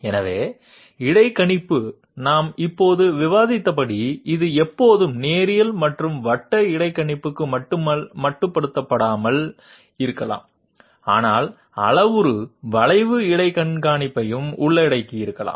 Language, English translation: Tamil, So interpolation as we just now discussed, it might not always be restricted to linear and circular interpolation but also may involve parametric curve interpolation